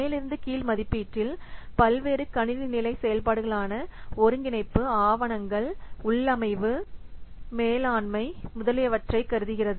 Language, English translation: Tamil, So, top down estimation, it considers the various system level activities such as integration, documentation, configuration, etc